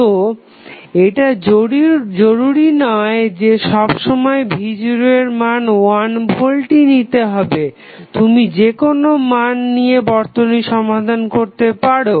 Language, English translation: Bengali, So, it is not mandatory that you always keep V is equal to 1 volt you can take any value and solve this circuit